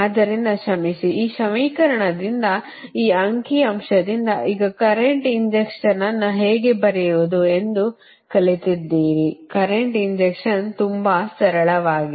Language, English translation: Kannada, so from this equation, from, sorry, from this figure, now you have learnt that how to write the current injection right